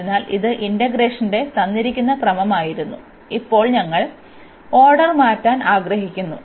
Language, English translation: Malayalam, So, this was the given order of the integration, and now we want to change the order